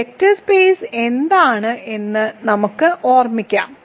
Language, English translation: Malayalam, So, let me quickly recall for you what is a vector space